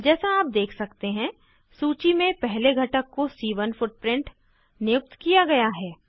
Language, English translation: Hindi, As you can see, C1 footprint gets assigned to the first component in the list